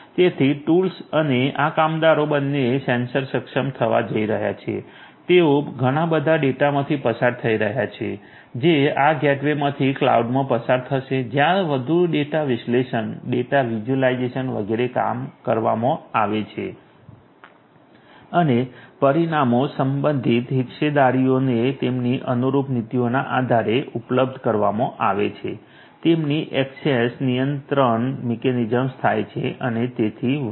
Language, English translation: Gujarati, So, both the tools and this workers are going to be sensor enabled, they are going to through in lot of data which are going to passing through this gateway to the cloud were further data analysis, data visualization, etcetera etcetera are going to be done and the results are going to be made available to the respective stake holders based on their corresponding policies, their access control mechanisms takes place and so on